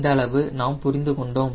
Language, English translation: Tamil, this much we understand